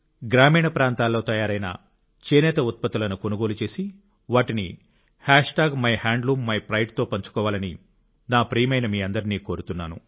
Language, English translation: Telugu, I urge you my dear brothers and sisters, to make it a point to definitely buy Handloom products being made in rural areas and share it on MyHandloomMyPride